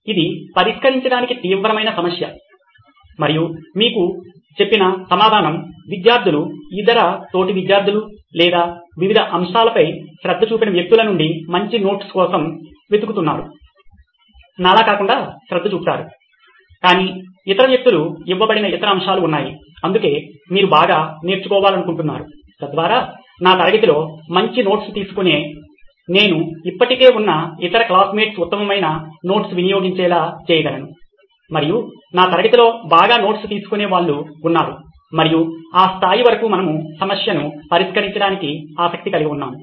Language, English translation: Telugu, So, that was the first why that you brought in which is a serious problem to tackle and you said the answer was, looking for better notes from students, other classmates or people who have paid attention to various aspects, not like I haven’t paid attention, but there are other aspects that other people are given The why, for that is, well you want better learning out comes, so that I can piggyback off other classmates who take good notes in my class, and that’s the level that we are interested in solving and that is why do they want learning outcomes is well you understand the topic better the entire course its comprehensive understanding out the course better